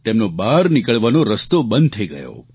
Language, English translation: Gujarati, Their exit was completely blocked